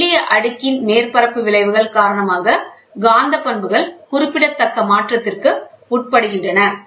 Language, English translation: Tamil, The magnetic properties undergo a remarkable change due to surface effects of thin layer